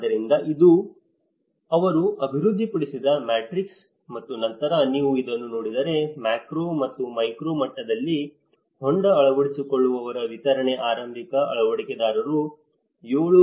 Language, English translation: Kannada, So, this is the matrix they developed in and then, the tank adopters distribution at macro or the and the micro level, if you look at it the early adopters was at 7